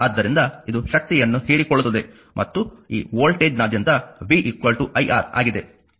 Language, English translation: Kannada, So, it absorbed power and across this voltage is v, v is equal to iR